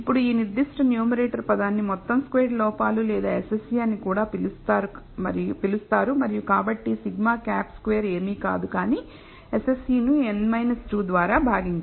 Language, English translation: Telugu, Now, this particular numerator term is also called the sum squared errors or SSE for short and so, sigma hat squared is nothing, but SSE divided by n minus 2